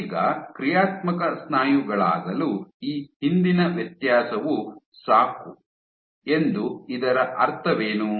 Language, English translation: Kannada, Now, does this mean that this earlier differentiation is enough to become functional muscle